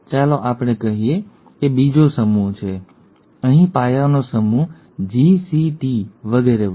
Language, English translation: Gujarati, There are let us say another set, set of bases here, G, C, T, so on